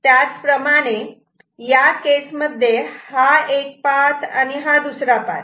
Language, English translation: Marathi, Similarly, in this case this is one path and this is another path right